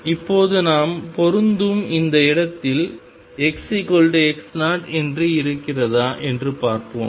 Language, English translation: Tamil, Now let us see if it at this point where we are matching which is x equals x 0